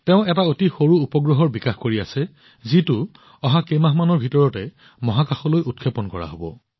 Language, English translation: Assamese, She is working on a very small satellite, which is going to be launched in space in the next few months